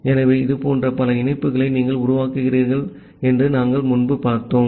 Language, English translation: Tamil, So, as we have looked earlier that you are creating multiple such connections